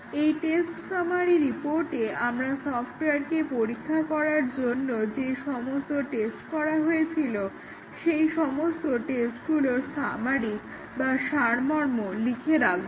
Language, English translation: Bengali, In the test summary report, we have to write the summary of all tests, which has been applied to the test that to the software